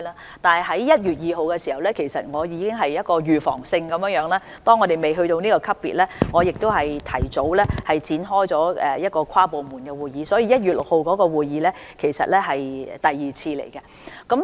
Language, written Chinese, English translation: Cantonese, 然而，在1月2日，我已經着手預防工作，當香港尚未達至這級別時，提早展開跨部門會議，所以 ，1 月6日的會議其實已是第二次會議。, Nevertheless on 2 January I had already launched the preventive work and commenced an interdepartmental meeting in advance when Hong Kong had not yet reached this level . Hence the meeting on 6 January was in fact the second meeting